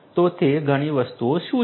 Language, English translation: Gujarati, So, what are those many things